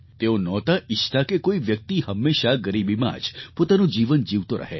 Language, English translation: Gujarati, He did not want anybody to languish in poverty forever